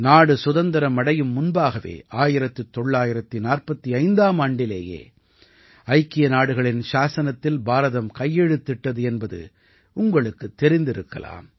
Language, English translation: Tamil, Do you know that India had signed the Charter of the United Nations in 1945 prior to independence